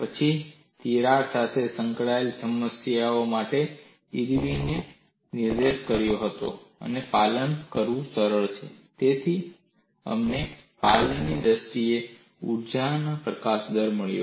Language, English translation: Gujarati, Then, for the problems involving crack, Irwin pointed out compliance is easier to handle; so, we also got the energy release rate in terms of compliance